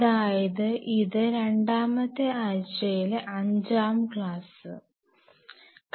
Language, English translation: Malayalam, So, we are into now week 2 lecture 5 w 2 1 5